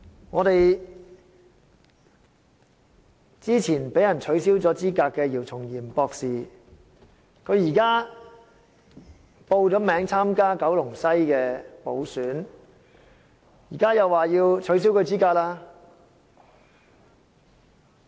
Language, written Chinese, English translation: Cantonese, 我們早前被取消資格的姚松炎博士現已報名參加九龍西補選，現在又說要取消他的資格了。, Dr YIU Chung - yim who was disqualified from his office earlier has applied for running in the by - election of Kowloon West Constituency but now it is said that he will be disqualified again